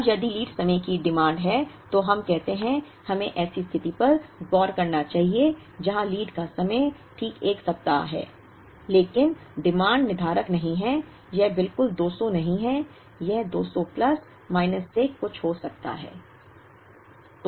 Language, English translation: Hindi, Now, if the lead time demands, let us say, let us look at a situation where the lead time is exactly 1 week but the demand is not deterministic, it is not exactly 200, it could be 200 plus minus something